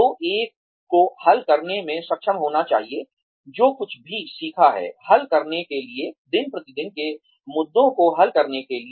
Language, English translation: Hindi, So, one should be able to modify, to apply, whatever one has learnt, in order to solve, simple day to day issues